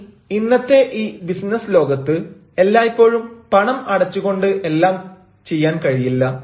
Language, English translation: Malayalam, now, in a business world of today, not everything can go by paying money